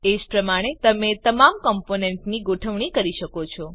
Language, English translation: Gujarati, Similarly you can arrange all the components